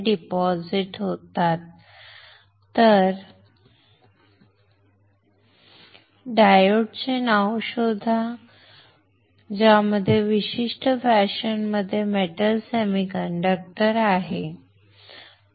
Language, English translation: Marathi, Find the name of the diode, diode find the name in which there is metal semiconductor in this particular fashion, all right